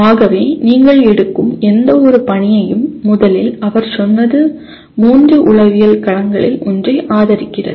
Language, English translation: Tamil, So first thing he said any given task that you take favors one of the three psychological domains